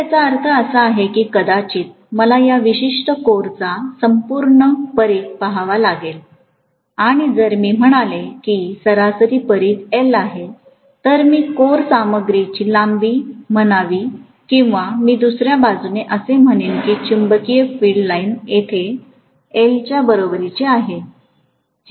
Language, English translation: Marathi, So that means I have to say, probably I have to look at the complete circumference of this particular core and if I say the average circumference is L, so I should say length of the core material or I would say on the other hand it is the magnetic field line is equal to L here